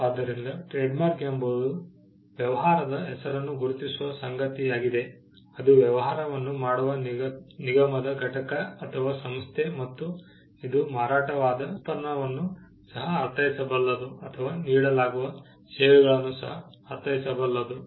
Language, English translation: Kannada, So, a trademark can be something that identifies a business name, the entity that does the business a corporation or a organization, it could also mean a the product that is sold or the services that are offered